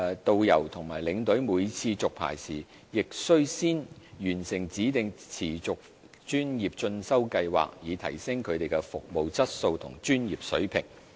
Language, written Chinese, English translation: Cantonese, 導遊和領隊每次續牌時，亦須先完成指定持續專業進修計劃，以提升他們的服務質素和專業水平。, Tourist guides and tour escorts upon each licence renewal will also be required to have completed the specified Continuing Professional Development Scheme so as to enhance their service quality and professionalism